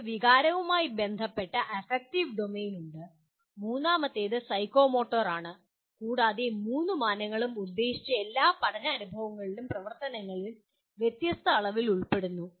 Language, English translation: Malayalam, You have affective domain which concerns with the emotion and then third one is psychomotor and all three dimensions are involved to varying degrees in all intended learning experiences and activities